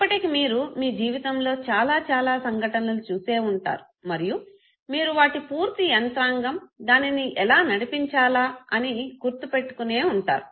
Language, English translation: Telugu, You must have now seen many, many events in your life where you perform the task and you remember the full mechanism, as to how to operate it